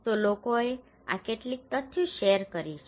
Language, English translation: Gujarati, So these some of the facts people have shared